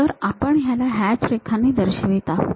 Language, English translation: Marathi, So, we show it by hatched lines